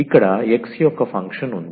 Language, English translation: Telugu, Here is a function of x